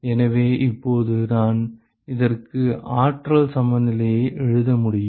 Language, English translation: Tamil, So now, I can write a energy balance for this